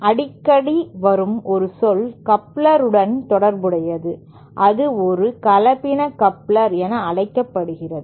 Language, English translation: Tamil, One term that is frequently associated with couplers is what is known as a hybrid coupler